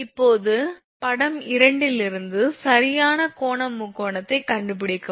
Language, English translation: Tamil, Now, from figure 2 from this, figure this is right angle triangle